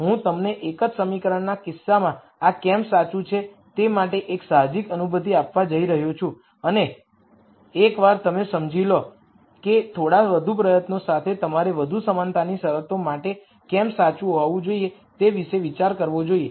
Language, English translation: Gujarati, I am going to give you an intuitive feel for why this is true in the single equation case and once you understand that with a little bit more effort you should be able to think about why it should be true for more equality constraints and so on